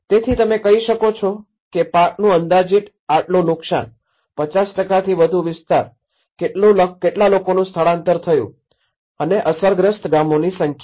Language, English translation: Gujarati, So, you can say that estimated crop loss this much, area more than 50%, number of people evacuated, number of villages affected